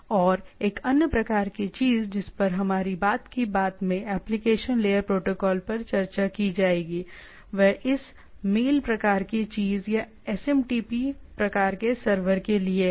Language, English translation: Hindi, And one other type of things what will be discussing in the in the application layer protocol in our subsequent talk is one is for this mail type of thing or SMTP type of server